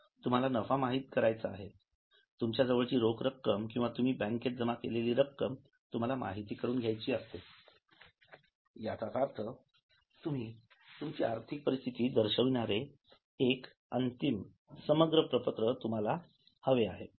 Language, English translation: Marathi, So, you may be wanting to know your profits, you may be wanting to know how much cash you have, you may be wanting to know how much bank deposits you have, so you want to have a final summary of the balances which represent your financial position